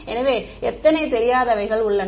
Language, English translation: Tamil, So, how many unknowns are there